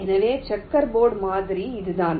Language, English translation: Tamil, so this is what the checker board model is